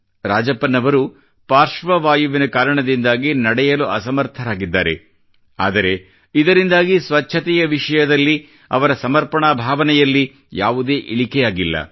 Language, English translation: Kannada, Due to paralysis, Rajappan is incapable of walking, but this has not affected his commitment to cleanliness